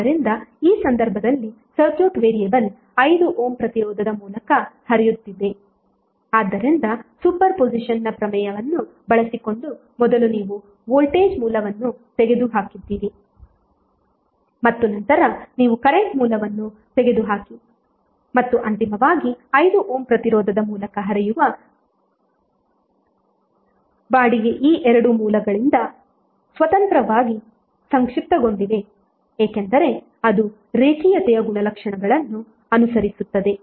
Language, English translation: Kannada, So in this case the circuit variable was current flowing through 5 Ohm resistance, so using super position theorem first you removed the voltage source and then you remove the current source and finally rent flowing through 5 Ohm resistance because of both of this sources independently were summed up because it will follow linearity property